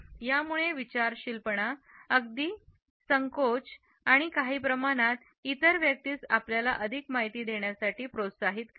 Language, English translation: Marathi, It conveys thoughtfulness, even hesitation and somehow encourages the other person to give you more information